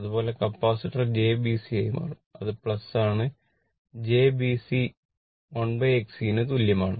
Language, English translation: Malayalam, Similarly, capacitor will become jB C it is plus right jB C equal to 1 upon X C